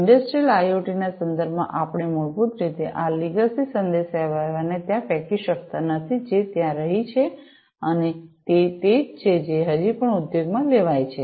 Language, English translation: Gujarati, So, in the context in the newer context of Industrial IoT, we cannot basically throw away these legacy communication mechanisms that have been there and that are those are still being used in the industry